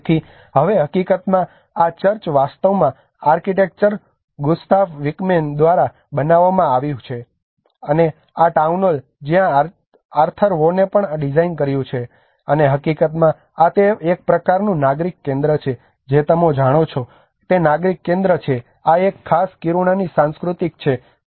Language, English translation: Gujarati, So now, in fact, this church was actually designed by architect Gustaf Wickman, and also the Town Hall where Arthur Von have designed this, and in fact this is a place for a kind of civic centre you know the civic engagement centre is all, this is one of the image the cultural image of this particular Kiruna